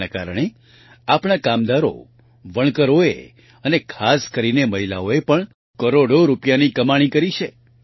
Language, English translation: Gujarati, Through that, our workers, weavers, and especially women have also earned hundreds of crores of rupees